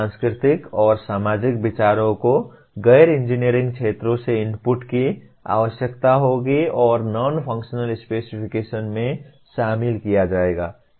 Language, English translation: Hindi, Cultural and societal considerations will require inputs from non engineering fields and incorporated into the non functional specifications